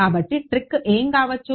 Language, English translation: Telugu, So, what might be the trick